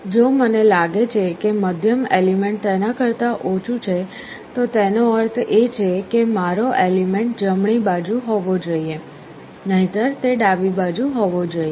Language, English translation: Gujarati, If I find the middle element is less than that, it means my element must be on the right hand side, or if it is other way around, then it must be on the left hand side